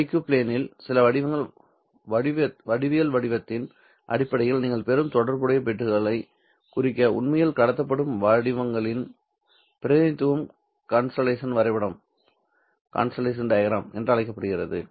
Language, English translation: Tamil, This kind of representation of the waveforms which are actually being transmitted to represent the corresponding bits that you are receiving in terms of some geometrical pattern in the IQ plane is called as the constellation diagram